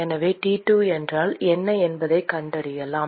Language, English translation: Tamil, So, we can find out what T2 is